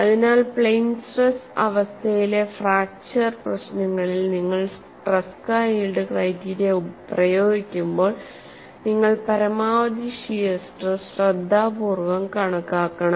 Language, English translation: Malayalam, So, when you are applying Tresca yield criteria to plane stress situation fracture problem you have to calculate the maximum shear stress carefully